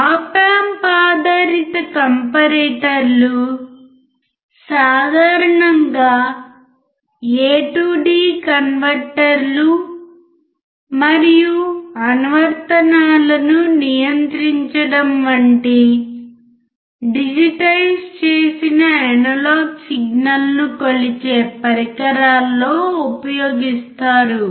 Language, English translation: Telugu, Op amp based comparators are commonly used in devices that measure digitized analog signal such as a to d converters and controlling applications